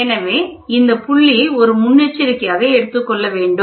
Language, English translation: Tamil, So, this point has to be taken as a precaution